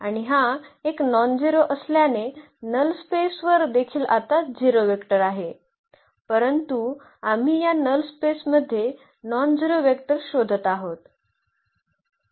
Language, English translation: Marathi, And, since it is a nonzero I mean the null space also has a now has a 0 vector, but we are looking for the nonzero vector in the null space of this